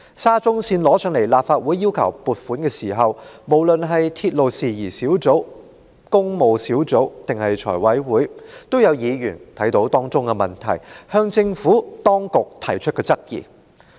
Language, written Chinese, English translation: Cantonese, 沙中線工程提交至立法會申請撥款時，無論在立法會鐵路事宜小組委員會、工務小組委員會，還是財務委員會，也有議員看到當中的問題，曾向政府當局提出質疑。, When the funding application for the SCL project was submitted to the Council for approval some members of the Subcommittee on Matters Relating to Railways the Public Works Subcommittee and the Finance Committee of the Legislative Council had spotted problems in the project and raised them to the Administration